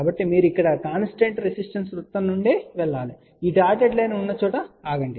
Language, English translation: Telugu, So, you have to move from here constant resistance circle, stop at a point where this dotted line is there